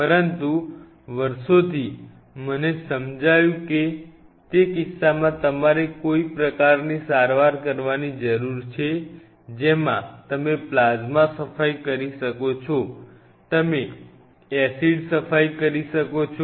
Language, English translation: Gujarati, But over the years what I have realized that what is over the case you need to do some sort of a treatment you can do a plasma cleaning, you can do an acid cleaning